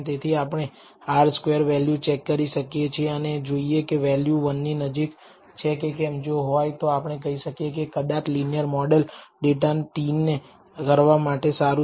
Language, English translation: Gujarati, So, we can use, we can check R squared and see whether the values close to one and if it is we can say maybe linear model is good to t the data, but that is not a confirmatory test